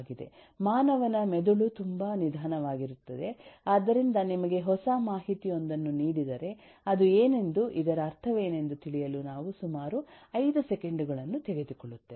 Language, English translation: Kannada, the human brain is extremely slow, so if you are given with a new chunk of information, we take about 5 seconds to come to terms with